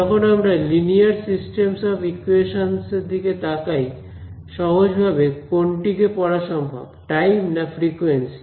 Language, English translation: Bengali, So, when I am looking at a linear system of equations then, what is the most convenient way of studying time of frequency